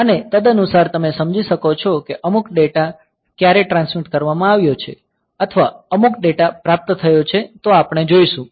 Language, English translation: Gujarati, Accordingly you can understand whether when some data has been transmitted or some data has been received; so, we will see that